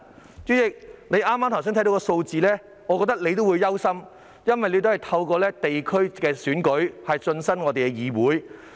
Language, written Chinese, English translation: Cantonese, 代理主席，你聽到剛才的數字也會感到憂慮，因為你也是透過地區選舉進入議會。, Deputy President you would also feel worried when you hear the figures that I have quoted just now for you were also elected to the legislature through a district election